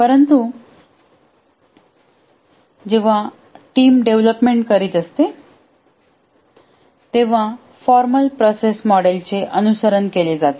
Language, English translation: Marathi, But when the development is to be carried out by a team, a formal process model has to be followed